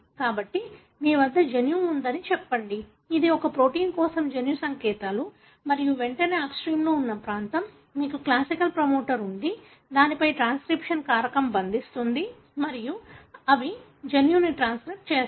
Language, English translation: Telugu, So, you have the gene, let us say, this is a region where the gene codes for a protein and immediately upstream of it, you have the classic promoter, on to which transcription factor bind and they transcribe the gene